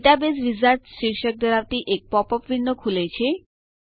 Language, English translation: Gujarati, A pop up window titled Database Wizard opens